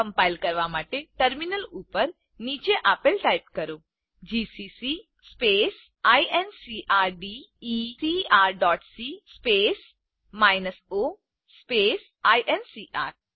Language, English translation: Gujarati, To compile, type the following on the terminal gcc space incrdecr dot c space minus o space incr